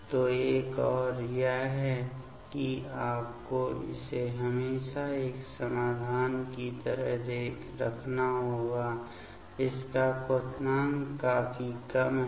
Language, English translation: Hindi, So, another one is that always you have to keep it like in a solution; it is boiling point is pretty less